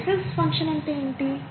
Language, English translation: Telugu, What's a Bessel’s function